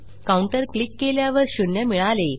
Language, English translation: Marathi, Click on counter and weve got zero at the moment